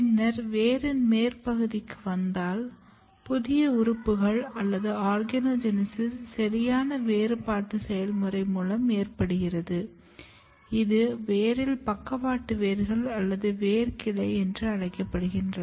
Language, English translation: Tamil, And then if you come in the even higher up region of the root the process of proper differentiation of new organs or organogenesis occurs which is mostly in case of root is lateral roots or root branching